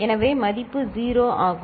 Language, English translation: Tamil, So, the value is 0